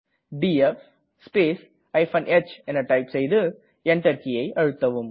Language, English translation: Tamil, Please type df space h and press Enter